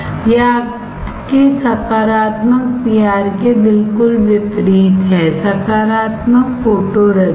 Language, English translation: Hindi, This is the exactly opposite of your positive PR; positive photoresist